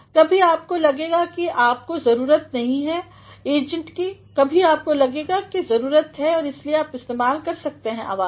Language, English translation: Hindi, Sometimes you may feel that you do not need the agent, sometimes you feel that you need the agent and that is why you can make use of voice